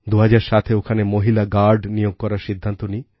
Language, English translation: Bengali, In 2007, it was decided to deploy female guards